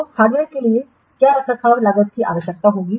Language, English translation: Hindi, So what maintenance cost will be required for the hardware